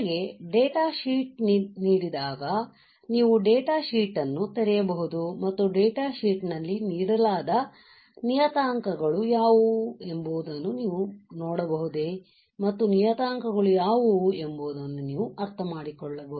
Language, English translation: Kannada, The idea is also that when you are given a data sheet can you open the data sheet and can you see what are the parameters given in the data sheet and can you understand what are the parameters right